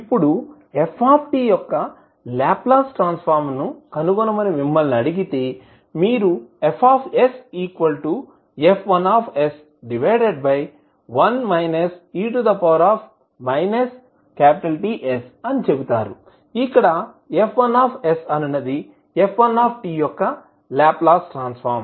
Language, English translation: Telugu, Now, if you are asked to find out the Laplace transform of f t, you will say F s is nothing but F1s upon e to the power minus T s, where F1s is the Laplace transform of first period of the function